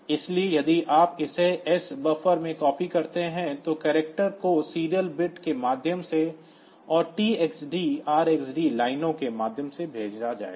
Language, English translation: Hindi, So, if you copy it into S buff then the character will be sent serially through the transmit bit and TXD and RXD lines